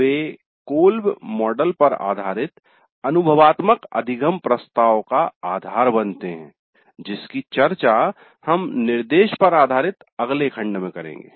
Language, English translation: Hindi, They become the basis for experiential learning approach based on the call model which we will be discussing in the next module on instruction